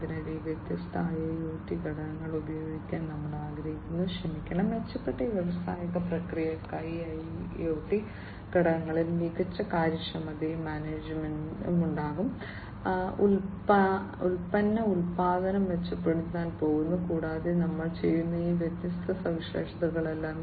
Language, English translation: Malayalam, So, we want to use these different IIoT components, sorry, in this IoT components in it in order to have improved industrial processes, which will have you know better efficiency, and manageability, product production is going to be improved and all these different features that we have talked about in this lecture earlier, so going to have that